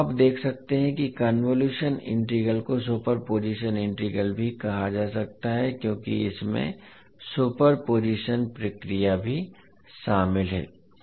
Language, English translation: Hindi, So you can now see that the convolution integral can also be called as the super position integral because it contains the super position procedure also